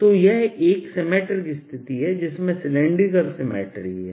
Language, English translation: Hindi, so this is a symmetry situation where there is a cylindrical symmetry